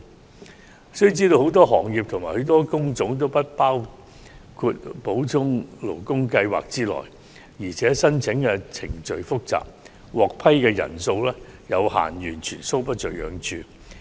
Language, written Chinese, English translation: Cantonese, 我們須知道，很多行業和工種都不包括在補充勞工計劃之內，而且申請程序複雜，獲批人數有限，完全搔不着癢處。, We should bear in mind that many trades industries and job types are currently not covered by SLS . Moreover the complicated application procedures and limited number of imported workers approved under SLS render it completely ineffective